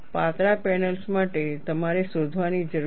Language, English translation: Gujarati, For thin panels, you need to find out